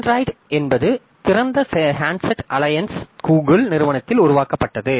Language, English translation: Tamil, So, Android, as we know, it is developed by open handset alliance, mostly by Google